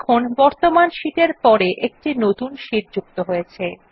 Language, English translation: Bengali, We see that a new sheet is inserted after our current sheet